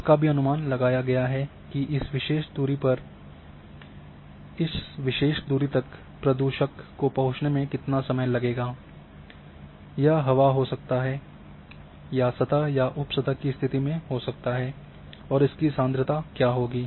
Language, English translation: Hindi, So, those things also are estimated that how much time would take reach the pollutant at that particular distance whether it is air or surface or in sub surface condition and what would be the concentration has well